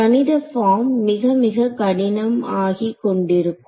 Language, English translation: Tamil, The mathematical form will become more and more complicated ok